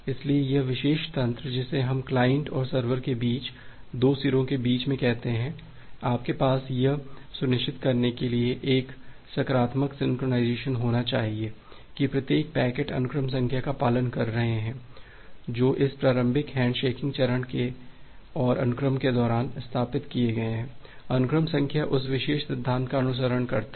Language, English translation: Hindi, So this particular mechanism we call it at between the client and the server between the two ends, you should have a positive synchronization for ensuring that every individual packets are having following the sequence number, which have been established during this initial handshaking phase and the sequence numbering follows that particular principle